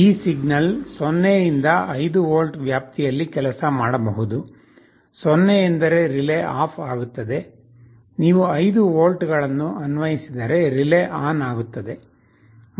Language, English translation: Kannada, This signal can work in 0 to 5 volt range, 0 means relay will be OFF, if you apply 5 volts the relay will be on